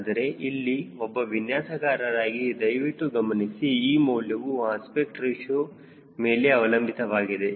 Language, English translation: Kannada, but here, as a designer, please see that this value depends upon aspect ratio